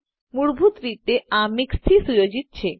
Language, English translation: Gujarati, By default, it is set as MIX